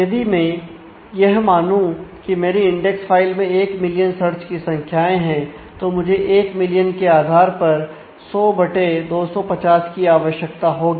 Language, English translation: Hindi, So, if I assume that my index file has actually 1 million search key values to look for, then I will need 1 million to the base 100 by 250